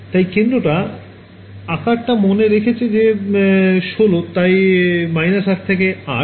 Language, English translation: Bengali, So, centre remember our size was 16 so, minus 8 to 8